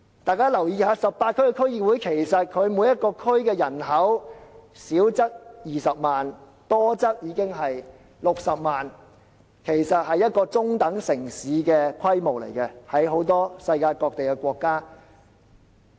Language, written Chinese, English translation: Cantonese, 大家留意一下 ，18 區區議會每個地區的人口，少則有20萬人，多則高達60萬人，在世界各地很多國家，這已是一個中等城市的規模。, Members may look at the population in each of the 18 DC districts . The smallest population is 200 000 and the largest reaches 600 000 . In many countries around the world this is the population size of a medium - scale city